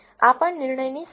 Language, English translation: Gujarati, This is also the decision boundary